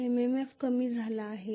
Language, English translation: Marathi, MMF has decreased